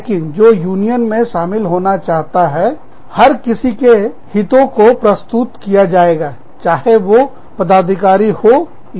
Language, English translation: Hindi, But, the interests of anyone, who wants to join the union, will be represented, whether they are office bearers or not